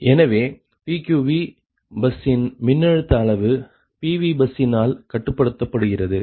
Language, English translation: Tamil, so the voltage magnitude of pq bus is controlled by the pv bus